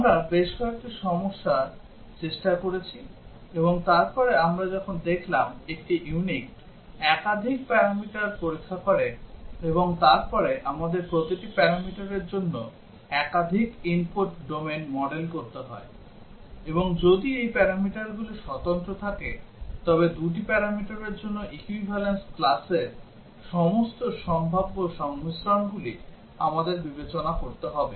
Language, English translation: Bengali, We tried couple of problems and then we looked at when a unit test multiple parameters, and then we have to model multiple input domains for each of these parameters; and if these parameters are independent, then we have to consider all possible combinations of the equivalence classes for the two parameters